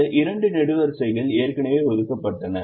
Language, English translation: Tamil, these two columns were already assigned